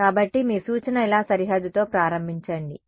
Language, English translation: Telugu, Just so, your suggestion is start with the boundary like this then